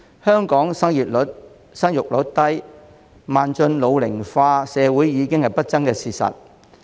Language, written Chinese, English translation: Cantonese, 香港生育率低，邁進老齡化社會已是不爭的事實。, It is an indisputable fact that Hong Kong has a low fertility rate and is becoming an ageing society